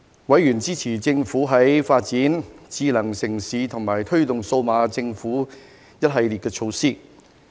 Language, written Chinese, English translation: Cantonese, 委員支持政府發展智慧城市和推動數碼政府的一系列措施。, Members supported the Governments numerous initiatives on smart city development and promotion of digital government